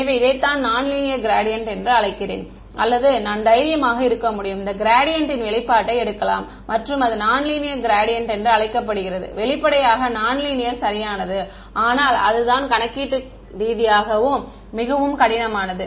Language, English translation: Tamil, So, this is what I call the linear gradient or I can be brave and take a gradient of this expression and that will be called a non linear gradient; obviously, non linear is exact, but it's computationally very tedious